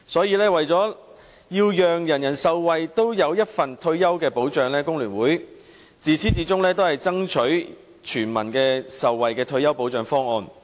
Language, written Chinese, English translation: Cantonese, 因此，為了讓人人受惠，所有人也有退休保障，工聯會自始至終均爭取全民受惠的退休保障方案。, Hence for the purpose of ensuring retirement protection for all FTU has been striving for universal retirement protection from beginning till now